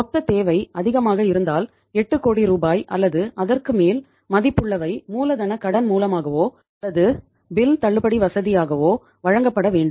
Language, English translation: Tamil, 8 crores worth of rupees or above if the total requirement is more has to be given by way of working capital loan or by as a bill discounting facility